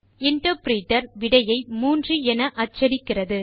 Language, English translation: Tamil, The interpreter prints the result as 3